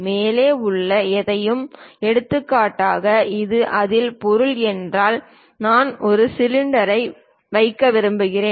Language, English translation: Tamil, Anything above for example, if this is the object in that I would like to put a cylinder